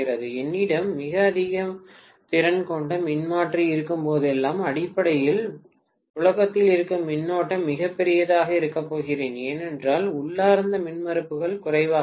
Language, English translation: Tamil, Whenever I have a very high capacity transformer I am going to have basically the circulating current to be extremely large because inherent impedances will be low